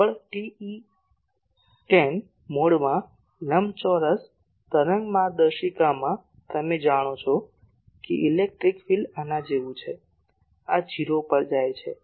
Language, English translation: Gujarati, In the rectangular wave guide in the dominant TE10 mode you know that electric field is like this, this goes to 0